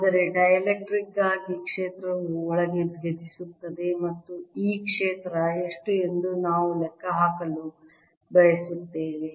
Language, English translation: Kannada, but for a dielectric the field does penetrate inside and we want to calculate how much is this field